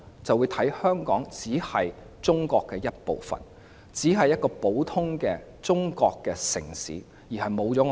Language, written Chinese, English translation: Cantonese, 就只會視香港為中國的一部分，一個普通的中國城市，失去獨立性。, They will only regard Hong Kong as part of China an ordinary Chinese city which has lost its independence